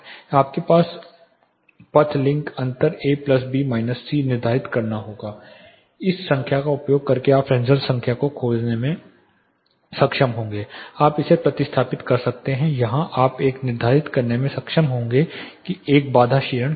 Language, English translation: Hindi, First you have to determine the path link difference A plus B minus C, using this number you will be able to find the Fresnel number you further substitute this here you will be able to determine what is a barrier attenuation